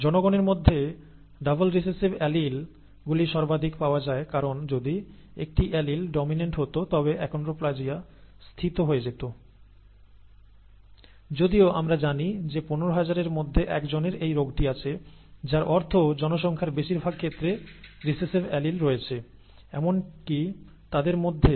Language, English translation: Bengali, And double recessive alleles are most commonly found in the population because if one allele had been dominant, the achondroplasia would have settled whereas we know that only 1 in 15,000, are have the disease which means most in the population do not have rather they have recessive alleles they have they do not even have one of the dominant alleles